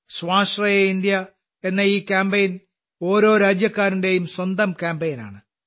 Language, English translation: Malayalam, This campaign of 'Atmanirbhar Bharat' is the every countryman's own campaign